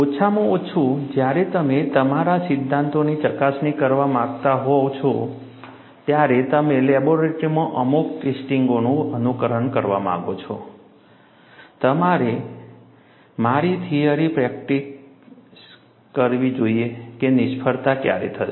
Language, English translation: Gujarati, At least, when you want to verify your theories, you want to simulate certain tests in the laboratory, I should have my theory predict when the failure would occur